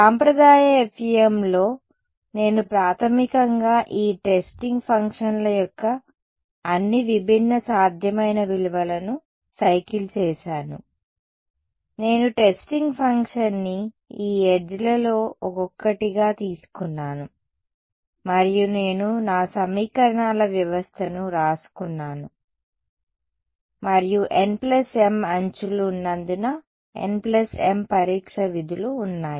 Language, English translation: Telugu, In the traditional FEM, I basically cycled through all different possible values of these testing functions, I took the testing function to be each one of these edges and I wrote down my system of equations and since there are n plus m edges there are n plus m testing functions